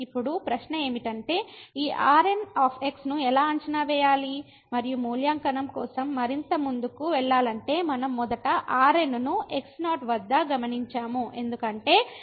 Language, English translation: Telugu, So, now the question is the how to evaluate this and to go further for the evaluation we first note that the at , because minus